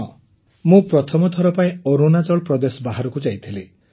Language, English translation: Odia, Yes, I had gone out of Arunachal for the first time